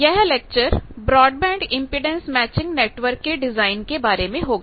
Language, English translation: Hindi, This lecture will be on Broadband Impedance Matching Network Design